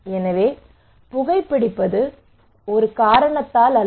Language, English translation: Tamil, So why I am smoking is not that only because of one reason